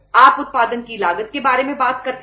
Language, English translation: Hindi, You talk about the cost of the production